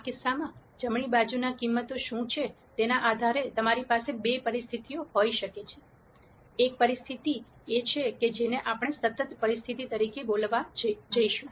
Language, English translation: Gujarati, In this case, depending on what the values are on the right hand side, you could have two situations; one situation is what we are going to call as a consistent situation